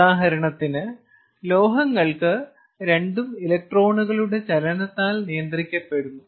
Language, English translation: Malayalam, ok, for metals, for example, both are governed by the movement of electrons